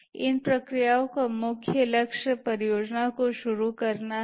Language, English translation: Hindi, The main goal of these processes is to start off the project